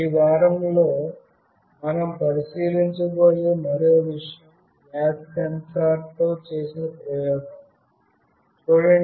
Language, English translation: Telugu, And there is one more thing that we will look into in this week is an experiment with a gas sensor